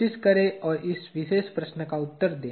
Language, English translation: Hindi, Try and answer this particular question